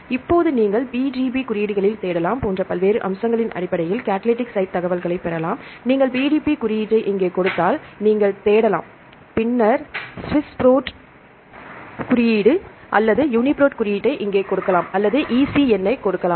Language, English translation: Tamil, So, now you can get the catalytic site information with based on various aspects, such as you can search in the PDB codes, if you give PDB code here you can search and then you can give the Swiss Prot code or the UniProt code here or the EC number right